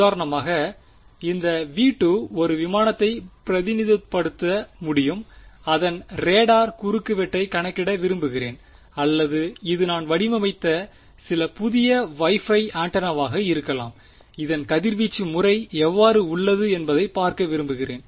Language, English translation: Tamil, For example, this v 2 could represent an aircraft and I want to calculate its radar cross section or it could be some new Wi Fi antenna I have designed I want to see how its radiation pattern of this right